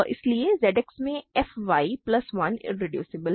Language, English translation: Hindi, Now, we can to conclude that f y plus 1 is irreducible